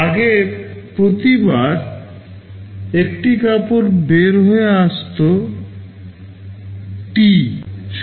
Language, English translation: Bengali, Earlier one cloth was coming out every time T